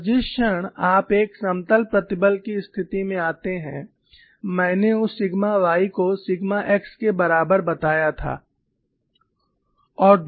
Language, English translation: Hindi, And the moment you come to a plane stress situation, I had mention that sigma y equal to sigma x, and the other stress is what